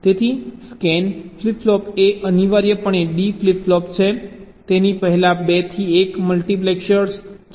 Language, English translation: Gujarati, so a scan flip flop is essentially a d flip flop with a two to one multiplexer before it